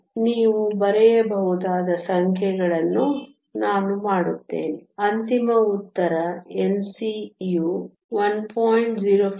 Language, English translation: Kannada, So, I will do the numbers you can write down the final answers N c is 1